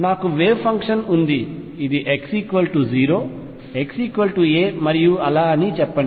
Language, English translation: Telugu, I have the wave function let us say this is x equals 0, x equals a and so on